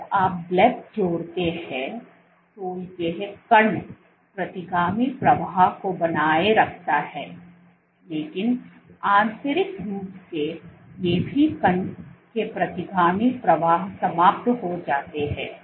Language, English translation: Hindi, When you add bleb these particles retain the retrograde flow, but internally all these particles retrograde flow is eliminated